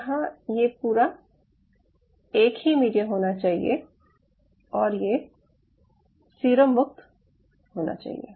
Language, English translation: Hindi, this has to be a common medium and it should be serum free